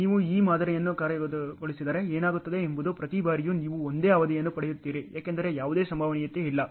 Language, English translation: Kannada, If you are just executing this model what happens is every time you will get the same duration because there is no probability at all